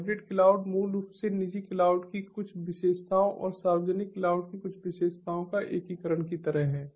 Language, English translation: Hindi, hybrid cloud basically is sort of like an integration of some features of private cloud and some features of the public cloud